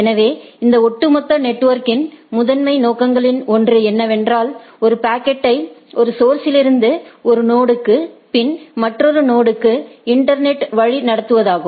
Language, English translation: Tamil, So, one of the primary objective of this overall network is route a packet from one source one node to another node in the internet right